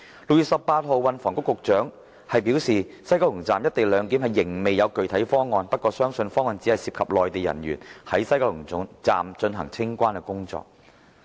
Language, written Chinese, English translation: Cantonese, 6月18日，運輸及房屋局局長表示，西九龍站"一地兩檢"仍未有具體方案，不過相信方案只涉及內地人員在西九龍站進行清關工作。, On 18 June the then Secretary for Transport and Housing was still saying that there was not yet any specific proposal for co - location clearance at West Kowloon Station but the eventual proposal would likely confine Mainland personnel to the discharge of immigration and customs clearance duties inside the Station only